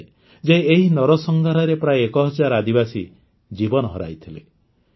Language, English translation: Odia, It is said that more than a thousand tribals lost their lives in this massacre